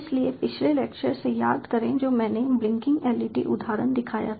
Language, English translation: Hindi, so a recall from the last lecture: ah, which i showed the blinking led example